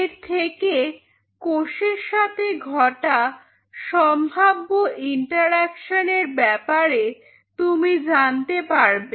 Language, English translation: Bengali, So, that will give you an idea that these are the possible interactions which can happen with the cell